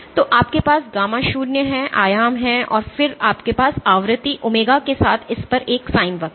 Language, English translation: Hindi, So, you have gamma naught is the amplitude and then you have a sin curve on it with frequency omega